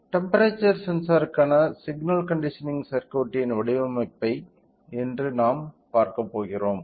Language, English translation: Tamil, Today we are going to see the design of a signal conditioning circuit for the temperature sensor